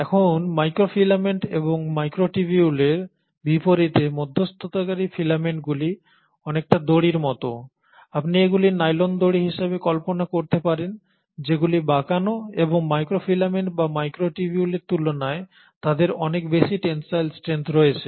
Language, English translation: Bengali, Now intermediary filaments unlike microfilaments and microtubules are more like ropes, you can visualize them as nylon ropes which are twisted and they are much more having a much more higher tensile strength than the microfilaments or the microtubules